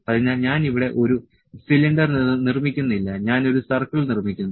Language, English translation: Malayalam, So, I am not producing a cylinder here I am just producing a circle